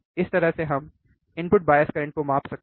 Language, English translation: Hindi, This is how we can measure the input bias current